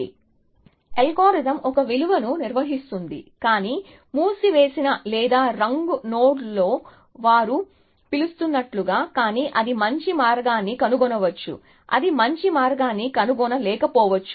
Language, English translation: Telugu, star algorithm maintains a value, but in the closed or in the colored node as they call it, but it may find a better path, no it may not find a better path